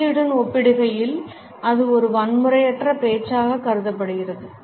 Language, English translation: Tamil, In comparison to that silence is necessarily considered as a non violent communication